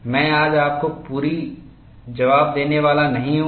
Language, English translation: Hindi, I am not going to give you the complete answer today